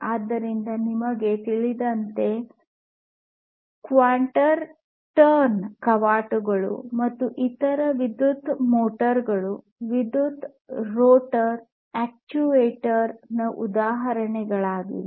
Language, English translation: Kannada, So, you know quarter turn valves, and different different other electrical motors for example: these are all examples of electric rotor actuator